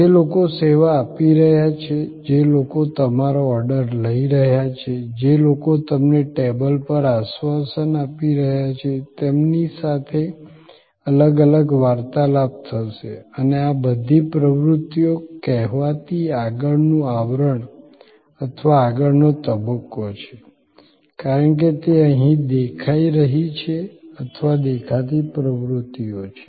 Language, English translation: Gujarati, There will be different interactions with the people, who are serving, people who are taking your order, people who are assuring you to the table and all these activities are the so called front facing or front stage as it is showing here or visible activities